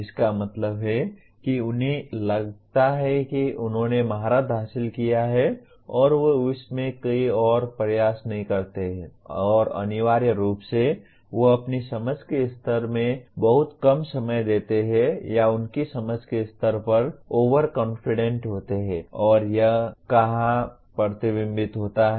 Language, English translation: Hindi, That means they think they have mastered and they do not put any further effort in that and essentially they spend lot less time or grossly overconfident in their level of understanding and where does it get reflected